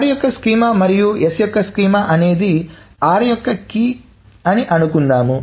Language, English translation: Telugu, Suppose the schema of r and s is a key for r